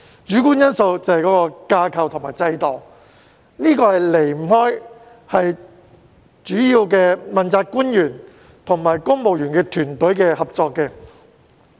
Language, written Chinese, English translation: Cantonese, 主觀因素就是架構和制度，這離不開問責官員和公務員團隊的合作。, The subjective factors are the structure and the system . These are closely related to the cooperation between the principal officials and the civil service